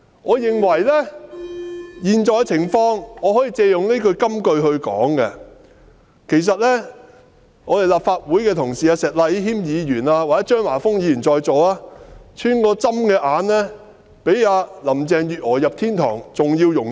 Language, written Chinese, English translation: Cantonese, 我認為可以借用這句金句來形容當前的情況，其實立法會的同事石禮謙議員或在座的張華峰議員，他們穿過針的眼，比林鄭月娥進入天堂還要容易。, I think I can borrow this verse in the Bible to describe the present situation . In fact for colleagues of the Legislative Council like Mr Abraham SHEK and Mr Christopher CHEUNG in the Chamber it will be easier for them to go through the eye of a needle than for Carrie LAM